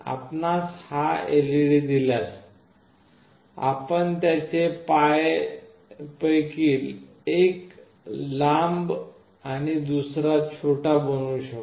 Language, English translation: Marathi, If you see this LED, you can make out that one of its legs is longer, and another is shorter